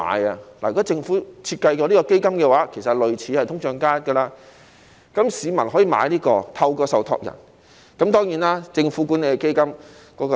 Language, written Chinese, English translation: Cantonese, 如果政府設計了這項基金，其實是類似"通脹加 1%" 的，那麼市民可以透過受託人購買這項基金。, If the Government designs such a fund which will work in a way similar to inflation plus 1 % the public can purchase this fund through their trustees